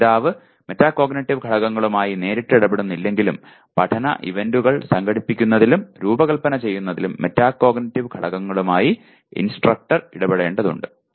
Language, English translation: Malayalam, While the learner may not be directly dealing with Metacognitive elements, the instructor has to deal with Metacognitive elements in organizing and designing learning events